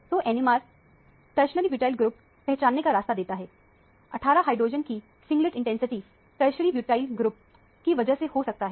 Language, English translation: Hindi, So, the NMR gave way to identify the tertiary butyl group, because of the singlet intensity with 18 hydrogen could only be because of the tertiary butyl group